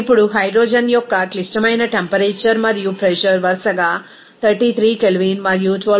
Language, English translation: Telugu, Now, critical temperature and pressure of the hydrogen are given as 33 K and 12